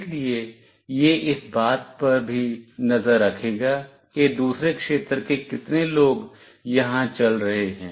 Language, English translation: Hindi, So, this will also keep track of how many people from other region is moving here